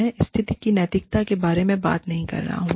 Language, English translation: Hindi, I am not talking about, the ethics of the situation